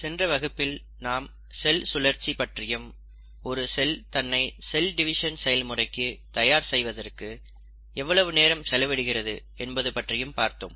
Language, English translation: Tamil, In our previous video, we spoke about cell cycle and we did talk about how much time a cell spends in preparing itself for cell division